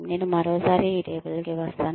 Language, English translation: Telugu, I will come back to this table, another time